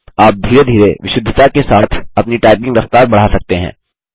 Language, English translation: Hindi, You can gradually increase your typing speed and along with it, your accuracy